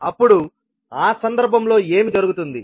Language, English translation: Telugu, Then in that case what will happen